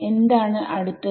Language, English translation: Malayalam, B 2 what is next